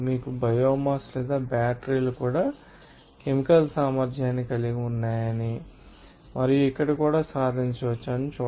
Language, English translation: Telugu, And also you can see that biomass or batteries have also chemical potential and achieve here also